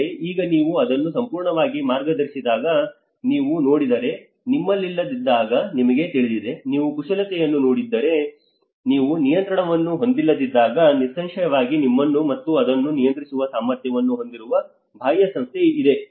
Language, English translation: Kannada, But now if you see if you when it is guided completely you know when you do not have, if you look at the manipulation because when you do not have a control, obviously there is an external agency which have an efficiency to control you and that is where it becomes a guided